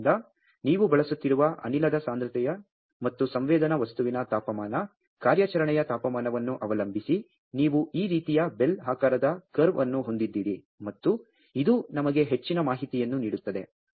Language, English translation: Kannada, So, depending on the concentration of the gas whatever you are using, and the temperature operating temperature of the sensing material, you have this kind of bell shaped curve and this also gives us lot of information